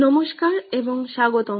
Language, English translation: Bengali, Hello and welcome back